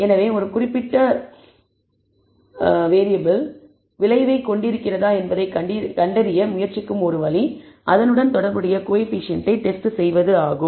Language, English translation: Tamil, So, one way of trying to find whether a particular independent variable has an effect is to test the corresponding coefficient